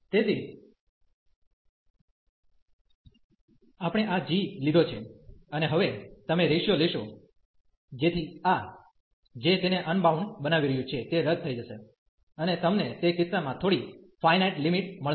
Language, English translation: Gujarati, So, we have taken this g, and now you will take the ratio, so that this which is making it unbounded will cancel out, and you will get some finite limit in that case